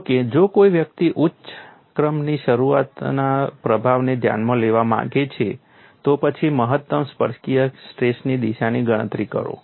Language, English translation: Gujarati, If however, one wants to consider the influence of higher order terms, then calculate the direction of the maximum tangential stress